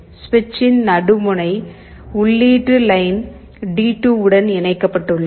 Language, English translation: Tamil, And the middle point of the switch is connected to the input line D2